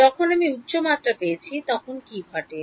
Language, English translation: Bengali, What happens when I got to higher dimensions